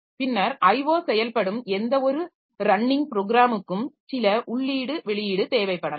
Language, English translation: Tamil, Then the I O operations, any running program we may require some input output